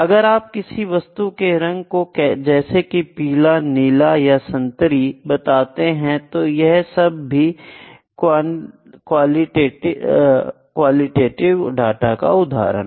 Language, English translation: Hindi, Then even if you say colour is yellow blue orange, this is also a kind of qualitative data